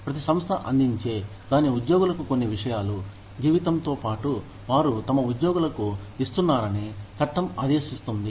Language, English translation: Telugu, Law mandates that, every organization provides, some things for its employees, in addition to the salary, they are giving their employees